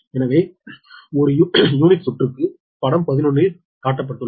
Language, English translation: Tamil, so per unit circuit is shown in figure eleven